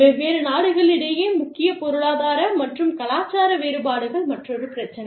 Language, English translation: Tamil, Major economic and cultural differences, among different countries, is another issue